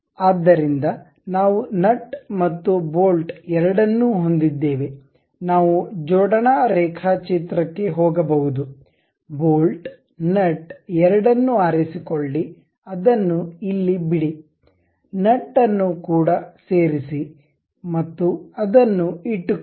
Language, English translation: Kannada, So, we have both nut and bolt, we can go with assembly drawing, assembly, ok, pick bolt nut both the things, drop it here, insert nut also and keep it